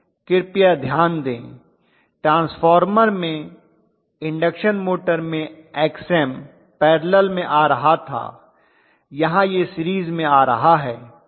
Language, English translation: Hindi, Please note one thing, in transformer, in induction motor Xm was coming in parallel, this damping is coming in series